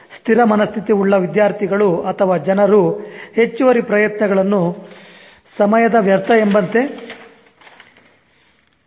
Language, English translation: Kannada, Students or people with fixed mindset, so they will see extra efforts as waste of time